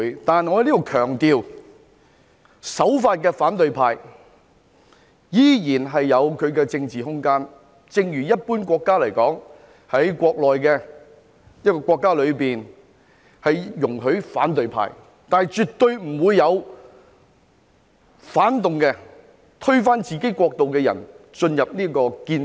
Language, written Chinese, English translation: Cantonese, 但我要在此強調，守法的反對派依然有其政治空間，正如一般國家的情況，一個國家內會容許反對派存在，但絕對不會有反動、推翻自己國家的人進入建制。, Yet I must emphasize here that law - abiding members of the opposition camp will still have their political space . As in the case of an ordinary country the opposition camp would be allowed to exist in a country but those reactionary individuals who intend to overthrow their own government would never be allowed to enter the establishment